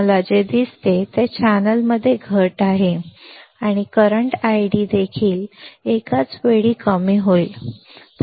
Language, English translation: Marathi, What I see is decrease in the channel and the current I D will also simultaneously decrease